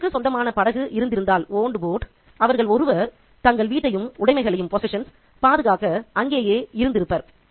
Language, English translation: Tamil, If the family owned a boat, one of them would remain behind to guard their house and their possession